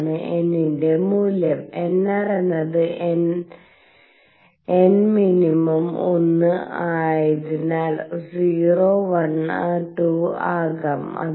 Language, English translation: Malayalam, That is the value of n, and nr because n minimum is one could be 0 1 2 and so on